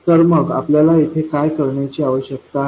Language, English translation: Marathi, So, what do we need to do here